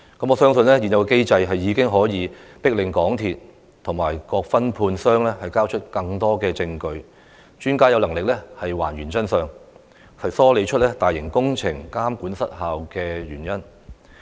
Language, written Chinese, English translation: Cantonese, 我相信現有機制已可迫令港鐵公司及各分判商交出更多證據，讓專家有能力還原真相，梳理出大型工程監管失效的原因。, I believe the existing mechanism can force MTRCL and various subcontractors to produce more evidence so that the experts can uncover the truth and glean from it the reasons for ineffective monitoring of large - scale projects